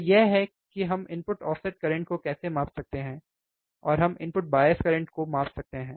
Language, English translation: Hindi, So, we this is how we can measure the input offset current, and we can measure the input bias current